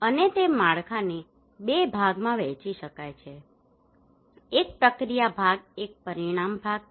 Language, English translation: Gujarati, And that framework can be divided into two part, one is the process part one is the outcome part